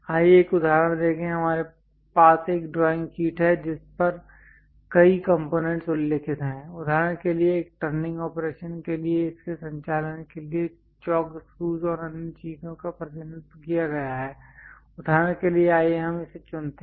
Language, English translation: Hindi, Let us look at an example here we have a drawing sheet on which there are many components mentioned for example, its a for a turning operation the chalk screws and other things here is represented for example, let us pick this one